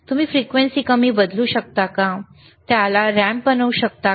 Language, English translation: Marathi, ok, cCan you change the frequency less, can you make it a ramp right